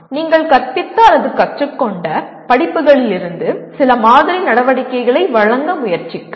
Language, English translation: Tamil, From the courses that you have taught or learnt, try to give some sample activities